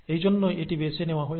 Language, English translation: Bengali, That is why this is chosen